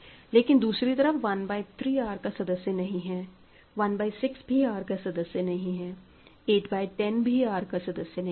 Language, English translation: Hindi, On other hand, 1 by 3 is not in R; 1 by 6 is not in R right; 8 by 10 is not in R and so on